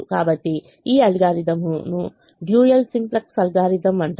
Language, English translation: Telugu, so this algorithm is called the dual simplex algorithm